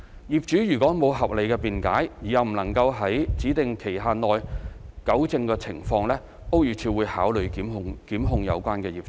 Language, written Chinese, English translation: Cantonese, 業主如無合理辯解而又未能在指定期限內糾正情況，屋宇署會考慮檢控有關業主。, BD will consider instigating prosecution actions against owners who could not rectify the situation within the specified time without reasonable excuse